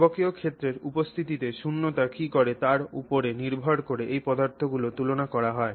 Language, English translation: Bengali, So, that is all got to do with how those materials compare with what vacuum does in the presence of a magnetic field